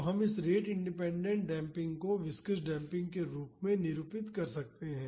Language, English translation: Hindi, So, we can represent this rate independent damping in terms of viscous damping